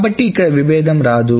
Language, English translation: Telugu, So this is not a conflict